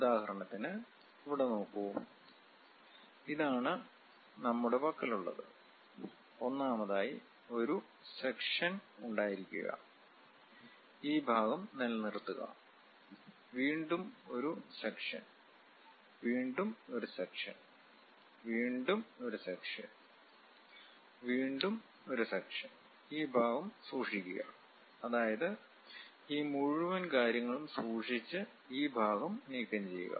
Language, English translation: Malayalam, For example, here look at it, this is the object what we have; first of all have a section, retain this part, again have a section, again have a section, again have a section, again have a section and keep this part, that means keep this entire thing and remove this part